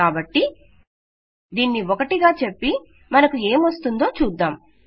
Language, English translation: Telugu, So we said this 1 and see what will we get